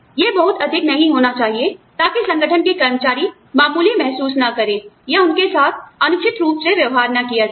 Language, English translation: Hindi, It should not be too much, so that, the organization's employees, do not feel slighted, or treated unfairly